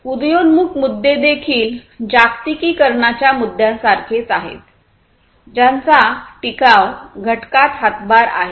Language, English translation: Marathi, Emerging issues are also there like the globalization issues which also contribute to the sustainability factor